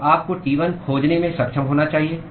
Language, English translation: Hindi, So, you should be able to find T1